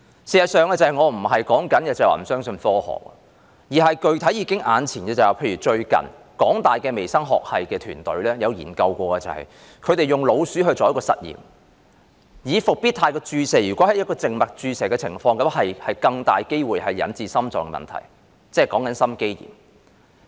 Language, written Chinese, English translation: Cantonese, 事實上，我不是說不相信科學，而是具體上看到，例如香港大學微生物學系團隊最近曾進行一項研究，他們用老鼠做實驗，發現復必泰在靜脈注射的情況下會有較大機會引致心臟問題，即心肌炎。, In fact I am not saying that I do not believe in science but we have specifically seen that a team from the Department of Microbiology of the University of Hong Kong HKU for instance has recently conducted a study and discovered by experimenting on mice that intravenous injection of Comirnaty may have a bigger chance of causing heart problems or myocarditis